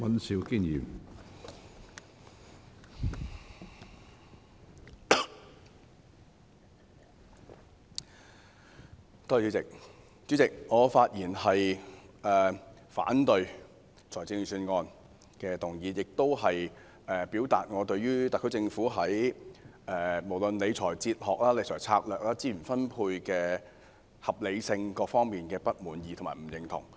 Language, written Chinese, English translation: Cantonese, 主席，我發言反對《2019年撥款條例草案》，亦表達我對於特區政府在理財哲學、理財策略、資源分配的合理性等各方面的不滿意和不認同。, Chairman I speak to oppose the Appropriation Bill 2019 and to express my dissatisfaction and disagreement about the fiscal philosophy and fiscal strategies of the SAR Government as well as the reasonableness of resource allocation etc